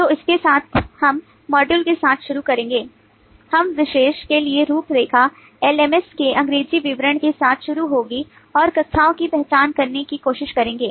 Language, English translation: Hindi, the outline for this particular one would be to start with the english description of lms and try to identify classes